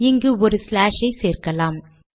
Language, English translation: Tamil, Let me put a reverse slash here